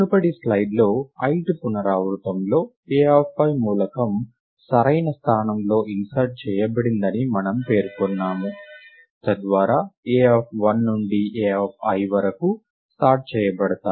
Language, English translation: Telugu, Recall that in the previous slide we mentioned that, in the ith iteration the element a of i is inserted into the correct elem correct location, so that a of 1 to a of i is sorted